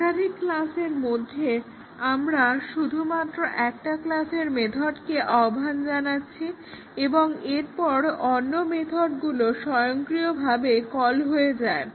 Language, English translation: Bengali, There are multiple classes we are just invoking method of one class and then the other methods are automatically in invoked